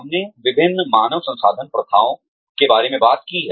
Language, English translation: Hindi, We have talked about different human resources practices